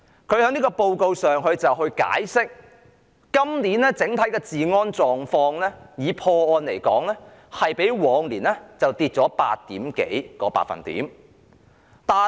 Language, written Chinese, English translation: Cantonese, 他就有關報告解釋 ，2019 年的整體破案率比2018年下跌超過 8%。, Regarding the report he explained that there was a drop of over 8 % in the overall detection rate in 2019 when compared with 2018